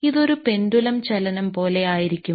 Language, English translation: Malayalam, So, this is like a pendulum movement